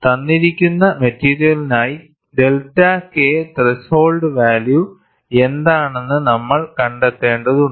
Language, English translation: Malayalam, We will have to find out what is the value of delta K threshold, for a given material